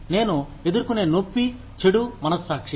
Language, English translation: Telugu, The pain, I will face is, bad conscience